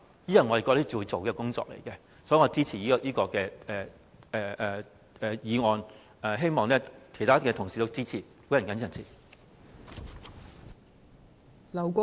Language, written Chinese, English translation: Cantonese, 我覺得這是要做的工作，所以我支持這項議案，希望其他同事也予以支持。, I think this is what we have to do . In this regard I support this motion and hope that other colleagues will also give their support